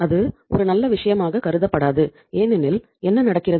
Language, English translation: Tamil, That is not considered as a good thing because what happens